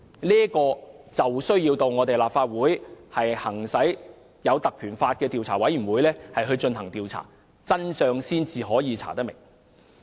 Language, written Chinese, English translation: Cantonese, 立法會有需要引用《立法會條例》成立專責委員會就此進行調查，才能查明真相。, To ascertain the truth behind the incident this Council needs to invoke the Ordinance to set up a select Committee to probe into it